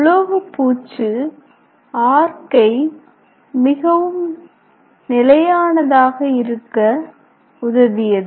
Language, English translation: Tamil, A coating helped the arc to much more stable